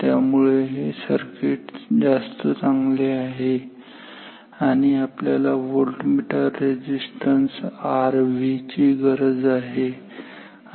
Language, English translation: Marathi, So, this is a better circuit and we need R V voltmeter resistance ok